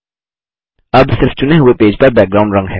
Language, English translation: Hindi, Now only the selected page has a background color